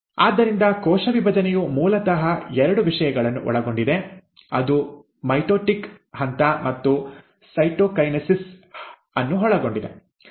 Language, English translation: Kannada, So, the cell division consists of basically two things; it consists of the mitotic phase, and the cytokinesis